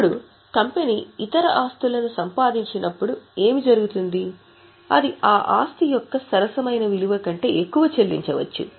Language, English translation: Telugu, Now what happens is when company acquires other assets, it may pay more than what amount is a fair value of that asset